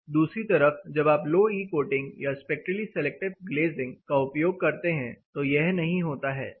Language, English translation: Hindi, And the other hand when you use a low e coated or a spectrally selective glazing, this does not happen; even for a glazing with 0